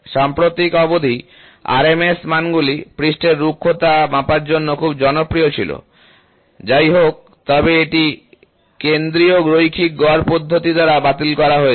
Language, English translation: Bengali, Until recently, RMS values were very popular choice for quantifying surface roughness; however, this has been superseded by the centre line average method